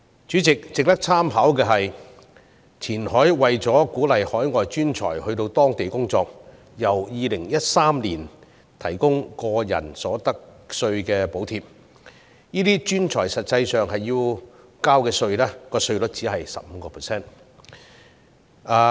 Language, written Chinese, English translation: Cantonese, 主席，值得參考的是，前海為鼓勵海外專才到當地工作，由2013年起提供個人所得稅補貼，這些專才實際要交的稅率因而只是 15%。, In order to attract overseas professionals Qianhai has provided expatriates with an individual income tax allowance since 2013 to lower their actual tax rate to 15 %